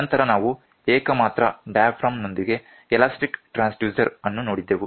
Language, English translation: Kannada, Then after that, we saw elastic transducer, elastic transducer with a single diaphragm